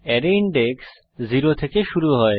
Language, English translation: Bengali, Array index starts from 0